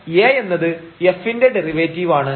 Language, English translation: Malayalam, So, this A is nothing, but this f prime x the derivative